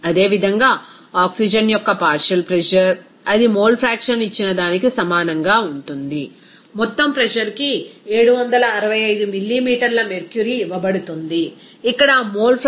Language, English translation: Telugu, Similarly, partial pressure of oxygen, it will be is equal to what is that mole fraction given, total pressure is given 765 millimeter mercury into here what is that mole fraction is what 0